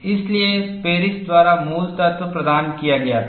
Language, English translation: Hindi, So, the basic kernel was provided by Paris